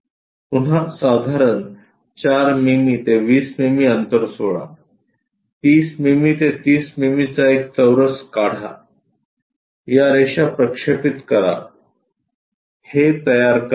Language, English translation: Marathi, Again leave minimum 4 to 20 mm kind of gap, make a square of 30 mm by 30 mm project these lines construct this one